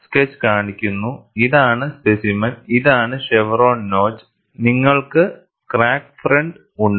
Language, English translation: Malayalam, The sketch shows, this is the specimen and this is the chevron notch and you have the crack front